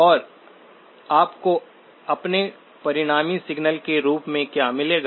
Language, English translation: Hindi, And what will you get as your resultant signal